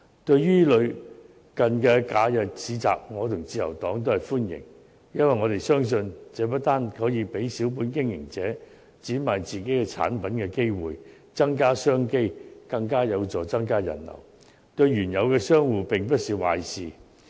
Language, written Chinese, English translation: Cantonese, 對於類似的假日市集，我和自由黨均表示歡迎，因為我們相信，這不單可以給予小本經營者展賣自己產品的機會，增加商機，更有助增加人流，對原有的商戶並不是壞事。, The Liberal Party and I welcome this kind of holiday bazaars because we believe that it not only offers opportunities for small business operators to display and sell their own products and develop additional business opportunities it also helps to boost the visitor flow which is not something bad for the existing shop operators